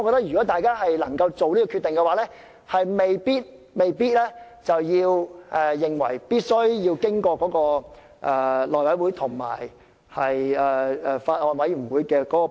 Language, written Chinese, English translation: Cantonese, 如果大家能夠作出決定，便未必一定要交付內務委員會和法案委員會處理。, If Members can make a decision on this it may not be necessary to refer the Bill to the House Committee and the Bills Committee